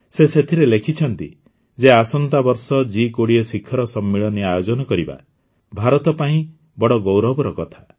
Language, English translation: Odia, In this he has written that it is a matter of great pride for India to host the G20 summit next year